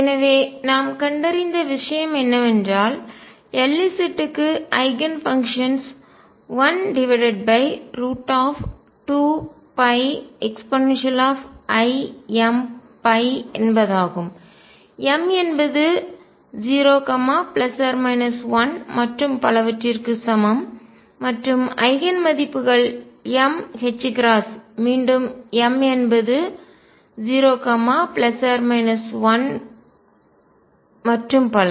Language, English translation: Tamil, So, what we found is that L z has Eigen functions one over root 2 pi e raise to i m phi m equals 0 plus minus 1 and so on and Eigen values are m h cross again m equals 0 plus minus 1 and so on